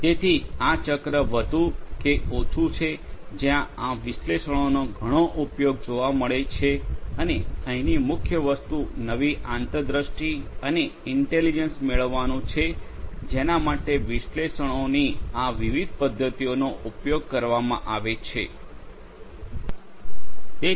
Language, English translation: Gujarati, So, this is more or less this cycle where analytics finds lot of use and the core thing over here is to derive new insights and intelligence for which these different methods of analytics are going to be used